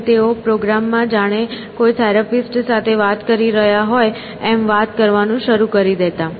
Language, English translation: Gujarati, And they would start talking to the program as if they were talking to a therapist